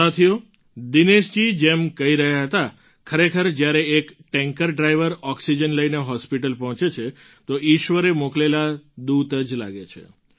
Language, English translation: Gujarati, Friends, truly, as Dinesh ji was mentioning, when a tanker driver reaches a hospital with oxygen, he comes across as a godsent messenger